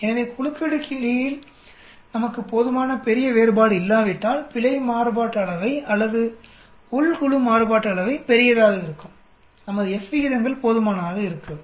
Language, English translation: Tamil, So the error variance or within group variance is going to be large unless we have sufficiently large difference between the between groups, our F ratios will not be sufficiently large